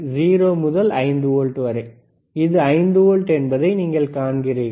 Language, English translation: Tamil, 0 to 5 volts, you see this is 5 volts only